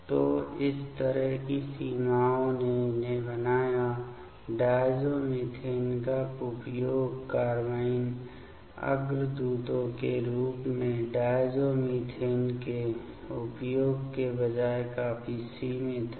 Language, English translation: Hindi, So, this kind of limitations made these; diazomethane use of rather use of diazomethane as a carbene precursor quite limited